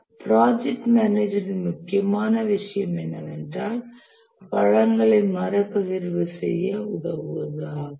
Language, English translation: Tamil, It's a very important thing for the project manager to know, helps in redistributing the resources